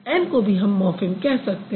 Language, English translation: Hindi, Anne can also be called as a morphem